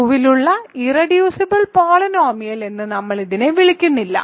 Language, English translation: Malayalam, So, we do not call it the irreducible polynomial root 2 over Q ok